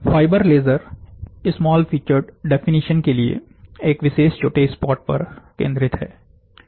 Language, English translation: Hindi, The fibre laser is focused to a particular small spot, for small featured definitions